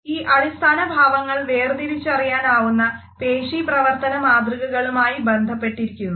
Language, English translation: Malayalam, And these basic expressions are associated with distinguishable patterns of muscular activity